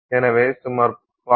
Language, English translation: Tamil, So, about 0